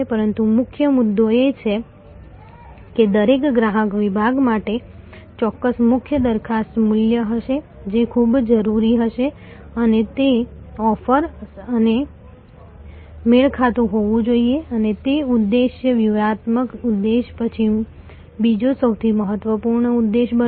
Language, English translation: Gujarati, But, the key point is that for every customer segment there will be certain core a proposition value, that will be very key and that must be offered and matched and that objective should be the second most important objective after the strategic objective